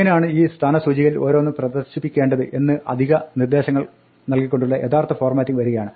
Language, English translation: Malayalam, Now the real formatting comes by giving additional instructions on how to display each of these place holders